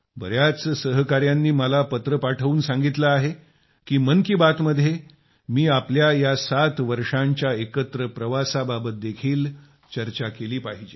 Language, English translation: Marathi, Many friends have sent me letters and said that in 'Mann Ki Baat', I should also discuss our mutual journey of 7 years